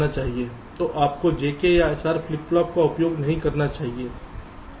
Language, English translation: Hindi, so you should not use j k or s r flip flops